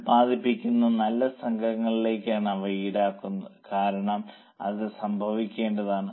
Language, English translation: Malayalam, They are charged to good units produced because they are bound to happen